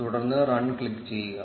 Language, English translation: Malayalam, And then click on run